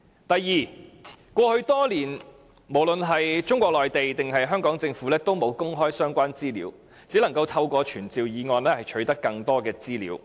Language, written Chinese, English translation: Cantonese, 第二，過去多年，無論是中國內地或香港政府也沒有公開相關資料，我們只能透過傳召議案取得更多資料。, Second in the past many years the Chinese Government and the Hong Kong Government have not disclosed the relevant information . We can only use a motion to summon to obtain more information